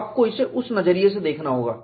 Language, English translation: Hindi, That is the way you have to look at it